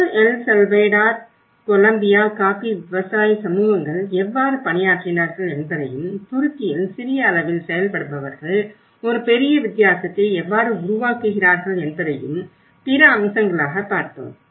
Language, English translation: Tamil, And there are also other aspects in Peru, El Salvador, Columbia, the coffee growers communities, how they have worked on and Turkey how the small actors make a big difference in it